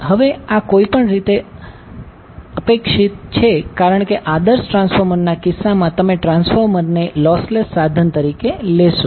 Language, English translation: Gujarati, Now, this is any way expected because in case of ideal transformer, you will take transformer as a lossless equipment